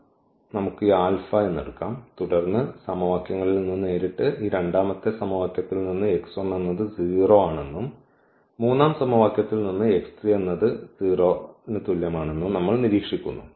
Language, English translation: Malayalam, So, let us take this alpha and then directly from these equations we have observe that the x 1 is 0 from this second equation and from this third equation we observe that x 3 is equal to 0